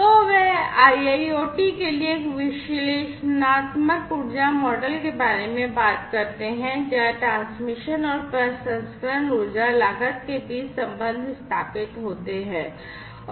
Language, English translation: Hindi, So, they talk about an analytical energy model for IIoT, where the relationship between the transmission and processing energy costs are established